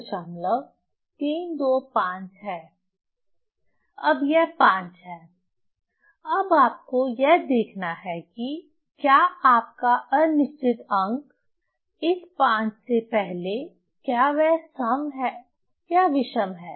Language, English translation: Hindi, So, now you have to see whether your doubtful digit, okay, before that 5, that digit is is is even or odd